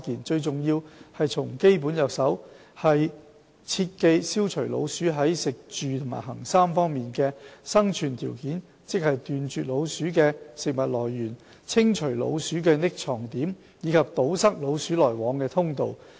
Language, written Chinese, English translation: Cantonese, 最重要是從基本着手，切記消除老鼠在食、住、行3方面的生存條件，即斷絕老鼠的食物來源食、清除老鼠的藏匿點住及堵塞老鼠來往的通道行。, It is important to tackle the problem at root by eliminating the three survival conditions of rodents namely food harbourage and passages meaning respectively the elimination of food sources and hiding places of rodents as well as blockage of their passages